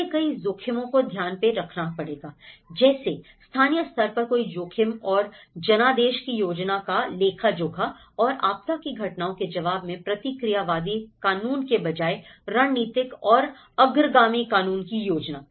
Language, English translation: Hindi, They have to take into the multiple risks, account of the multiple risk and mandate planning in the local level and strategic and forward looking legislation rather than reactionary legislation in response to disaster events